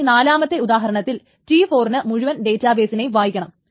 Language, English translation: Malayalam, And the fourth example is that T4 wants to read the entire database, so read D